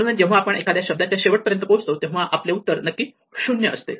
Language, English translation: Marathi, So, when we reach the end of one of the words say answer must be 0